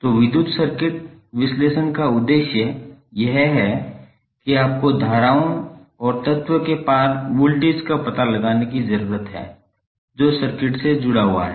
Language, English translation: Hindi, So the objective of the electrical circuit analysis is that you need to find out the currents and the voltages across element which is connect to the network